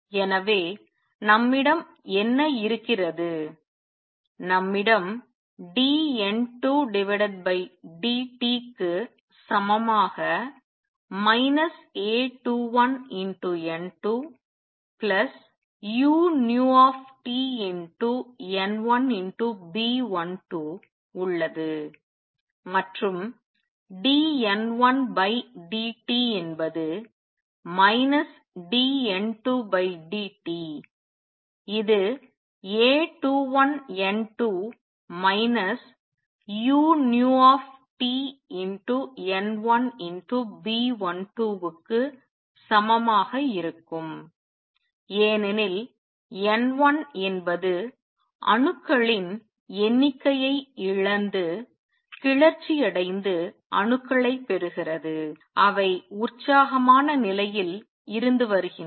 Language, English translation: Tamil, So, what do we have we have dN 2 over dt is equal to minus A 21 N 2 plus u nu T B 12 and N1 and dN 1 dt will be minus of dN 2 dt which will be equal to A 21 N 2 minus u nu T B 12 N 1 because N 1 is losing number of atoms which are getting excited and gaining atoms which are coming from the excited state